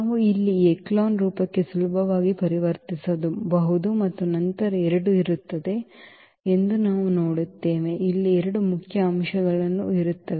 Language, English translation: Kannada, So, we can easily convert to this echelon form here and then we will see there will be 2; there will be 2 pivot elements here